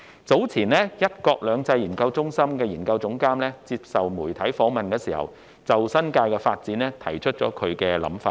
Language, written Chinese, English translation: Cantonese, 早前，一國兩制研究中心研究總監在接受傳媒訪問時提出他對新界發展的想法。, Earlier on the Research Director of the One Country Two Systems Research Institute expressed his views on the development of the New Territories during a media interview